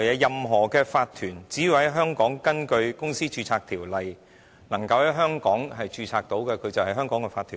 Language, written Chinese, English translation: Cantonese, 任何法團只要在香港根據相關的註冊條例註冊，便是香港的法團。, Any corporation registered under the relevant legislation in Hong Kong is a Hong Kong corporation